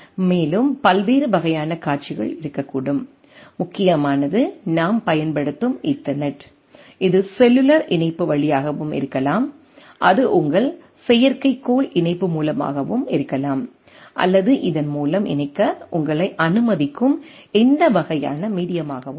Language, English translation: Tamil, And there can be different type of scenarios, the predominant is the Ethernet what we are using, it can be through cellular connectivity, even it can be through your satellite connectivity right, so or any type of media which allows you to connect through this through some media